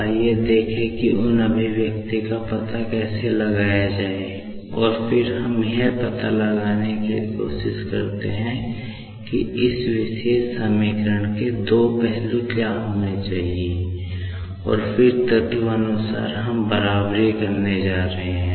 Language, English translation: Hindi, Let us see how to find out those expression, and then, we are going to equate just to find out like what should be the two sides of this particular equation, and then, element wise, we are going to equate